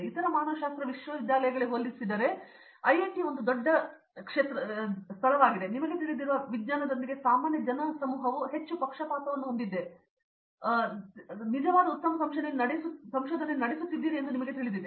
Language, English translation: Kannada, But IIT is a big targets compared to other humanities universities, you know were real good research happens because I do know the common crowd is more biased with science I guess